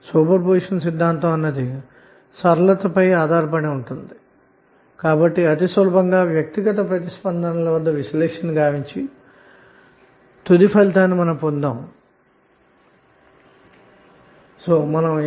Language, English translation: Telugu, And super position theorem is based on linearity, so it is easier to analyze and then at the responses individually to get the final outcome